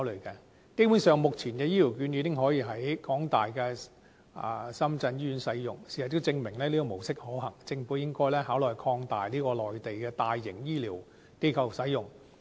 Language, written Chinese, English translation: Cantonese, 基本上，目前的醫療券已經可以在香港大學深圳醫院使用，事實也證明這種模式可行，政府應該考慮擴大至在內地的大型醫療機構使用。, At present Hong Kong elderly persons can basically use HCVs in the University of Hong Kong - Shenzhen Hospital and this approach is proven to be feasible . Hence the Government should consider further extending the scope of application of HCVs to cover large - scale medical institutions on the Mainland